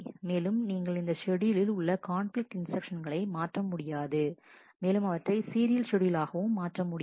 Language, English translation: Tamil, And you cannot swap non conflicting instructions in this schedule and convert it into a serial schedule